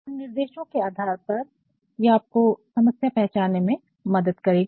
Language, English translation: Hindi, And, then based on these instructions, it will actually help you in identifying the problem